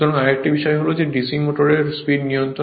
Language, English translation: Bengali, So, another thing is that speed control of DC motor